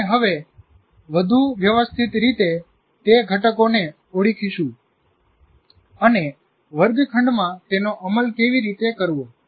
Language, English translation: Gujarati, We will now more systematically kind of identify those components and how to implement in the classroom